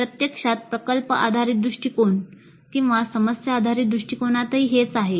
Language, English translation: Marathi, In fact same is too even with product based approach problem based approach